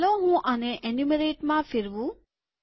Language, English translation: Gujarati, Let me just change this to enumerate